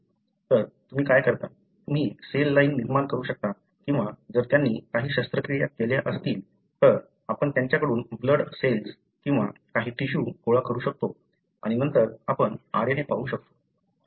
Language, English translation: Marathi, So, what you do, you can generate cell lines or we can collect the blood cells from them or some tissue from them if they undergo some surgical procedures and then you can look at the RNA